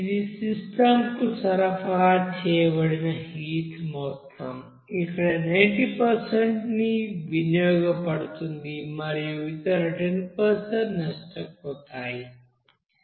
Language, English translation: Telugu, This amount of heat is supplied to that system where 90% will be utilized, other 10% will be lost